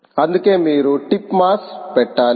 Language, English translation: Telugu, this is why you have to put the tip mass